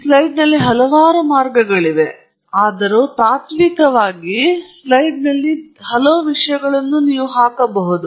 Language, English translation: Kannada, There are way too many things on this slide; although, in principle, you can put so many things on the slide